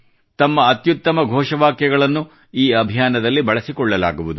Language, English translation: Kannada, Good slogans from you too will be used in this campaign